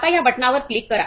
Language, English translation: Marathi, Now we are clicking this button click